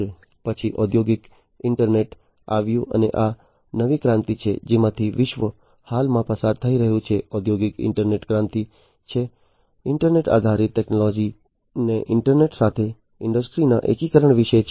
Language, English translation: Gujarati, Then came the industrial internet and this is this new revolution that the world is currently going through, the industrial internet revolution, which is about integration of internet based technologies to the internet to the industries